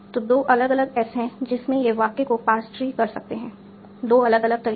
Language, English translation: Hindi, So there are two different S in which this sentence can be passed, two different ways